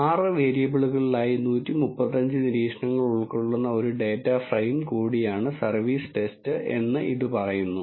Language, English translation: Malayalam, It says the service test is also data frame which contains 135 observations in 6 variables